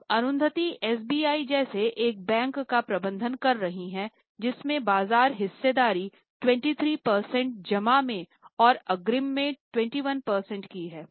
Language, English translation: Hindi, Now Arundati ji is managing a bank as big as SBI, which has a market share of 23% in deposit and 21% in advance